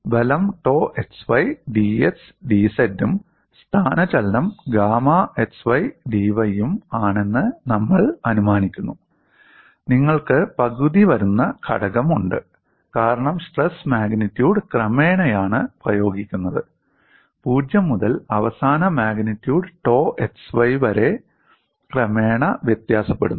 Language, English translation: Malayalam, The force is tau x y d x d z and the displacement is gamma x y d y and we also assume, you have the factor one half comes, because the stress magnitude is applied, gradually varies from 0 to the final magnitude tau x y gradually